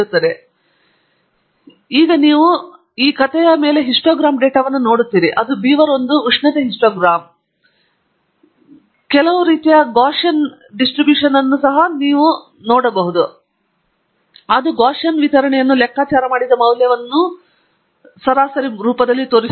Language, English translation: Kannada, So, now on the plot you see the histogram of data, it is beaver1 temperature histogram indicating some kind of a Gaussian distribution with the mean being the value that we have calculated here